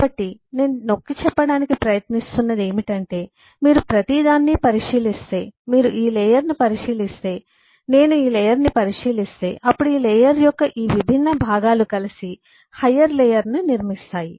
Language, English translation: Telugu, so what am trying to point out is if you look into every say, if you look into this layer, if I loo, if I look into this layer, then these different components of this layer together buildup the higher layer in turn